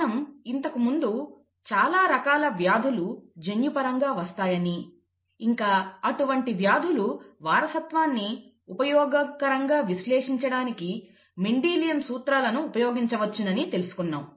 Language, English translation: Telugu, We said that many diseases are genetically linked and to usefully analyse such disease inheritance, we could use Mendelian principles